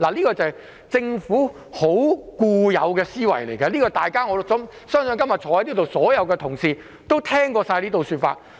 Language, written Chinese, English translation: Cantonese, 這是政府的固有思維，我相信今天在座所有同事也聽過這種說法。, This has prevented the Government from providing assistance to them . This is the inherent thinking of the Government . I believe Members sitting here have all heard about it